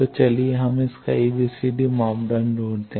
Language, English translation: Hindi, So, let us find its ABCD parameter